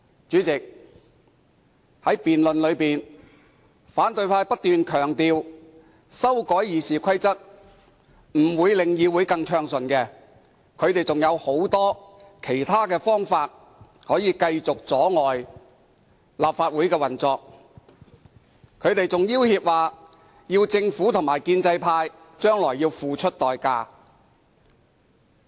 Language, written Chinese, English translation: Cantonese, 主席，在辯論中，反對派不斷強調修改《議事規則》並不能令議會運作更為暢順，因為他們仍有很多其他方法可以繼續阻礙立法會的運作，他們更要脅指政府和建制派將來要付出代價。, President opposition Members keep stressing in the debate that amending RoP cannot make the operation of the Council run more smoothly because they still have many other means to obstruct the Councils operation . They even threaten that the Government and the pro - establishment camp will have to pay a price for the amendment in future